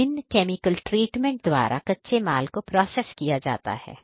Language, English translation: Hindi, These raw materials we would be subjected to different chemical treatment